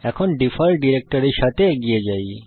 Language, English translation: Bengali, For now let us proceed with the default directory